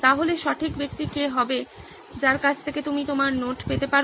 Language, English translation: Bengali, So who would be the right person from which you can get your notes